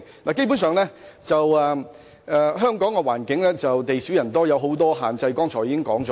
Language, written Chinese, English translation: Cantonese, 我剛才已提及香港的環境基本上地少人多，存有眾多限制。, Just now I have mentioned that Hong Kong is basically small and densely populated with a number of physical constraints